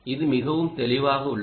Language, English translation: Tamil, this is very clear first